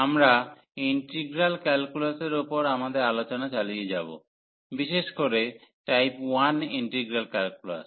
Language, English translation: Bengali, And we will continue our discussion on integral calculus, so in particular improper integrals of type 1